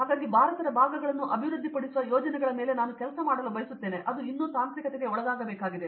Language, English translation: Kannada, So, that I would like to work on projects which uplift the parts of India which are yet to be technolized with this, that is all